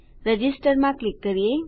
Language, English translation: Gujarati, Lets click in register